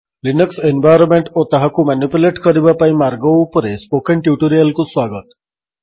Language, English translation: Odia, Welcome to this spoken tutorial on The Linux Environment and ways to manipulate it